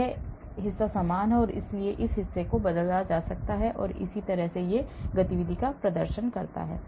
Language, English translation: Hindi, this portion is the same, so this portion has been replaced and they exhibit similar activity